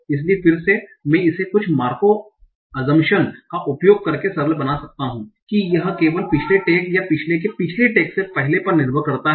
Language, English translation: Hindi, So again I might simplify it by using some markup assumption that it depends on either the only the previous tag or previous to previous tag